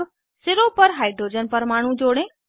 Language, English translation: Hindi, Let us attach hydrogen atoms at the ends